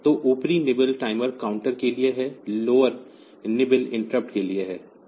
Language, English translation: Hindi, So, upper nibble where there is for timer counter, lower nibble is for interrupt